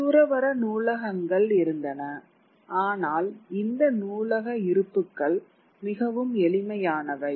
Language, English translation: Tamil, Moving on with the lecture, there were monastic libraries but these library holdings were very modest